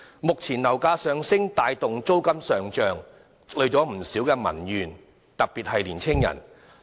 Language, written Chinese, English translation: Cantonese, 目前，樓價上升帶動租金上漲，社會上積累了不少民怨，特別是在青年人。, Presently the rise in property prices has pushed up rents . Public grievances have escalated particularly among young people